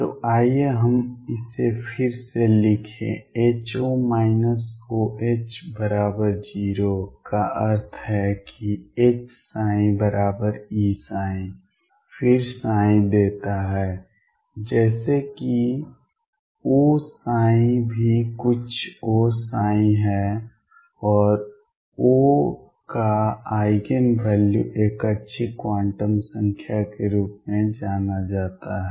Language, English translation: Hindi, So, let us write it again that H O minus O H is equal to 0 implies that H psi equals E psi then gives psi such that O psi is also sum O psi, and the Eigen value of O is known as a good quantum number